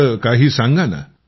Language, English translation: Marathi, Tell me a bit